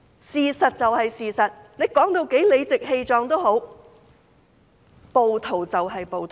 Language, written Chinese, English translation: Cantonese, 事實就是事實，說到多麼理直氣壯也好，暴徒就是暴徒。, Facts are facts . No matter how righteously they talked rioters are rioters